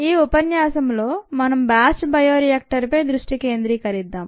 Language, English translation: Telugu, in this lecture let us focus on the batch bioreactor